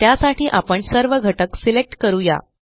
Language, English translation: Marathi, For this, we will select all the elements